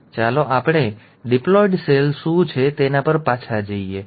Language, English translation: Gujarati, So let us go back to what is a diploid cell